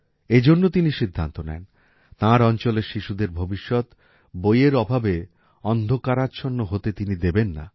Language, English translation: Bengali, In such a situation, he decided that, he would not let the future of the children of his region be dark, due to lack of books